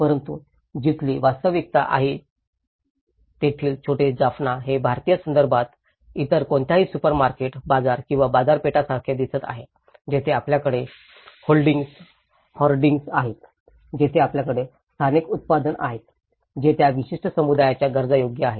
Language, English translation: Marathi, But the little Jaffna where the reality is this, it is looking like any other supermarket, bazaar or a bazaar in an Indian context where you have the hoardings, where you have the localized products, which is suitable for that particular community needs